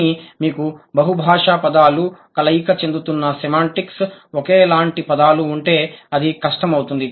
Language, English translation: Telugu, But if you have the polysemous words, overlapping semantics, identical words, then it's going to be difficult